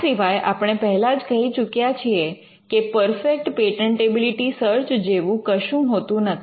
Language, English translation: Gujarati, And we had already mentioned that there is no such thing as a perfect patentability search